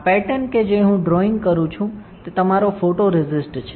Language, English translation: Gujarati, This pattern that I am drawing is your photoresist all right